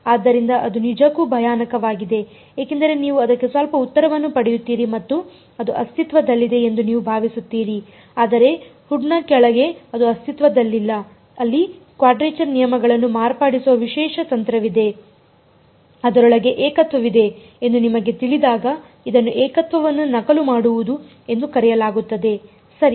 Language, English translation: Kannada, So, that is actually even scarier because you will get some answer for it and you think it exists, but under underneath the hood it does not exist there is a special technique of modifying quadrature rules when you know that there is a singularity inside it is called singularity extraction ok